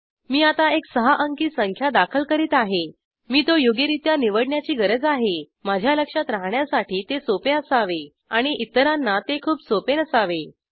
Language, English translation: Marathi, I am entering a 6 digit number now, I have to choose it properly, it should be easy for me to remember and not so easy for others